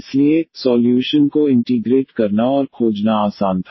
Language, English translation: Hindi, So, it was easy to integrate and find the solution